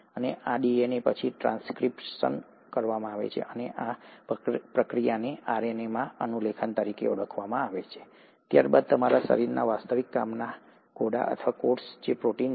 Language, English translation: Gujarati, And this DNA is then transcribed and this process is called as transcription into RNA, followed by the actual work horses of your body or a cell, which is the protein